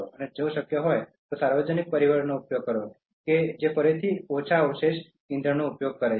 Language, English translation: Gujarati, And if possible, use public transport that again consumes less fossil fuel